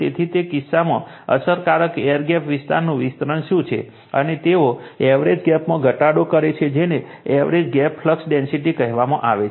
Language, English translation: Gujarati, So, in that case, your what you call your that is your enlargement of the effective air gap area, and they decrease in the average gap your what you call average gap flux density